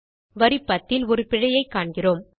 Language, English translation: Tamil, We see an error at line no 10